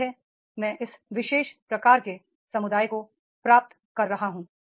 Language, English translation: Hindi, That is I am achieving this particular type of the community is there